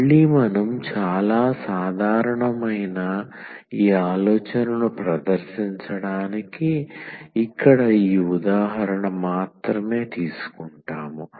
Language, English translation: Telugu, So, here we take just this example to demonstrate this idea which is again quite general